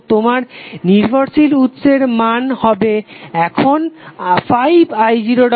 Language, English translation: Bengali, So your dependent source value will become now 5 i0 dash